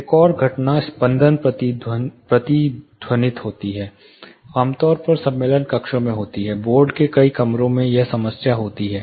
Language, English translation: Hindi, Another phenomena is flutter echo, typically occurs in conference rooms, many of the board rooms conference rooms have this problem